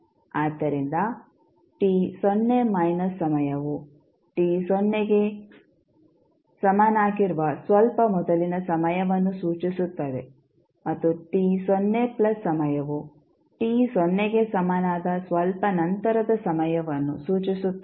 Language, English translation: Kannada, So, t 0 minus denotes the time just before time t is equal to 0 and t 0 plus is the time just after t is equal to 0